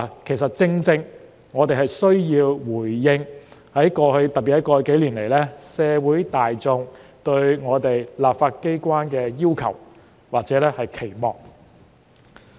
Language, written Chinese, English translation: Cantonese, 其實，正正因為我們需要回應——特別是在過去數年——社會大眾對立法機關的要求或期望。, In fact it is exactly because we need to respond to the aspirations or expectations of the community on the legislature especially in the past few years